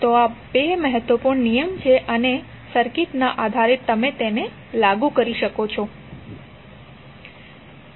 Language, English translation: Gujarati, So these are the 2 important laws based on the circuit you can apply them